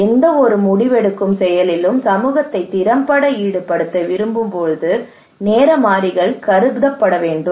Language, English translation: Tamil, So these variables should be considered when we want effectively to engage community into the decision making process